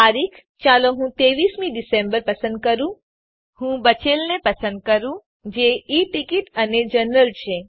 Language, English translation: Gujarati, Date let me choose 23rd December , Let me choose the remaining as they are E ticket and general